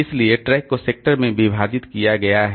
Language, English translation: Hindi, So, the track is divided into sectors